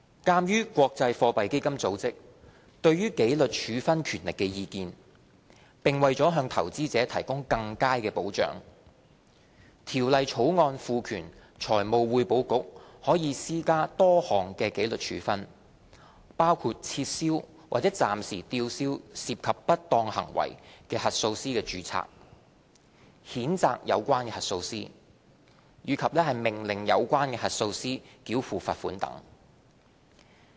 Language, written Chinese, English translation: Cantonese, 鑒於國際貨幣基金組織對紀律處分權力的意見，並為了向投資者提供更佳保障，《條例草案》賦權財務匯報局可施加多項紀律處分，包括撤銷或暫時吊銷涉及不當行為的核數師的註冊、譴責有關核數師，以及命令有關核數師繳付罰款等。, Taking into account the International Monetary Funds comment on disciplinary powers and for better investor protection the Bill empowers the Financial Reporting Council to impose a range of disciplinary sanctions including cancelling or suspending the registration of a person that involves irregularities as auditor reprimanding the auditor ordering the auditor to pay a pecuniary penalty